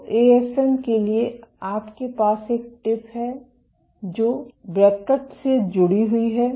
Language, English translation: Hindi, So, for an AFM you have a tip which is attached to a cantilever